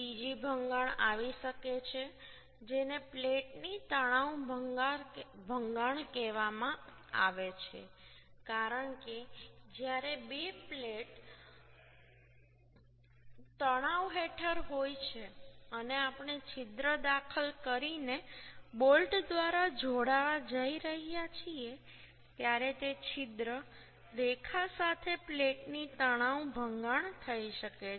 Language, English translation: Gujarati, Another failure may come which is called tension failure of plate, because when two plates are under tension and we are going to join through bolt by insertion of hole, then along that hole line tension failure of plate may happen